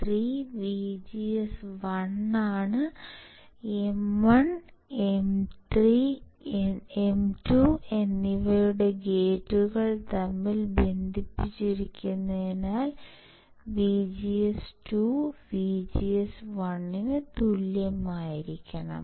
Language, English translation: Malayalam, If VGS 3 equals to VGS1, since the gates for M1 and M 2 are shorted; that means, that VGS 2 will be equals to VGS1